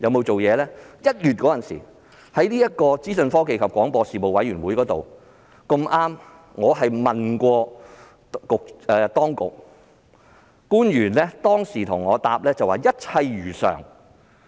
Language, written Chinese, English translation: Cantonese, 在1月時的資訊科技及廣播事務委員會會議上，我已向當局提出質詢，當時官員的答覆是"一切如常"。, At a meeting of the Panel on Information Technology and Broadcasting in January I already raised a question with the authorities . At the time the official concerned replied to this effect Everything is as usual